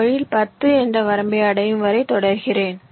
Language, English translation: Tamil, in this way i continue till this limit of ten is reached